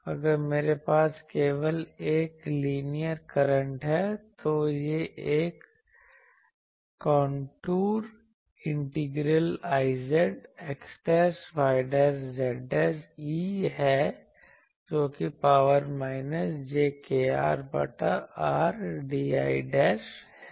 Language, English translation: Hindi, If I have a only a linear current, then it is a contour integral I z x dashed y dashed z dashed e to the power minus j k R by R dl dashed